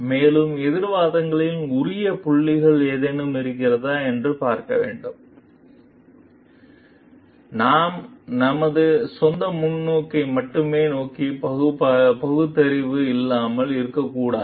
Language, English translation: Tamil, And you need to see if there are any relevant points in the counter arguments also, see we should not be blind towards our own perspective only